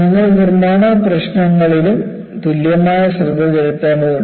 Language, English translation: Malayalam, So, you will have to equally address the manufacturing issues